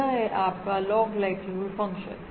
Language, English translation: Hindi, This is your log likelihood function